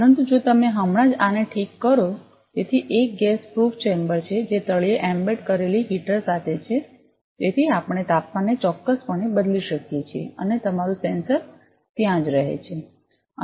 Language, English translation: Gujarati, But if you just fix this one so it is a gas proof chamber with a heater embedded at the bottom; so, we can precisely change the temperature and your sensor remains there